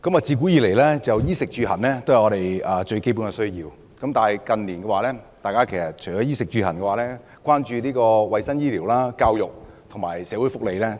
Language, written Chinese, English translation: Cantonese, 自古以來，衣食住行都是我們最基本的需要，但近年我們除了衣食住行外，也相當關注衞生、醫療、教育和社會福利。, Clothing food accommodation and transportation have been our most fundamental needs since ancient times . In recent years apart from clothing food accommodation and transportation we are also very concerned about health medical services education and social welfare